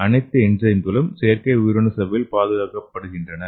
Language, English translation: Tamil, So here the cells are protected in the artificial membrane okay